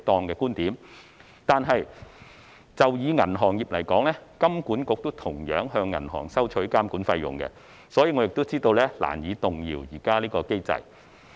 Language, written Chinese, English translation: Cantonese, 可是，以銀行業而言，金管局也同樣向銀行收取監管費用，所以我知道是難以動搖現時這個機制。, However in the case of the banking industry the Hong Kong Monetary Authority also charges the banks a regulatory fee . So I know it is hard to change the existing mechanism